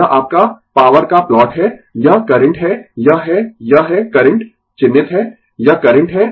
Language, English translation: Hindi, This is your plot of the power, this is the current, this is this is current is marked, this is current right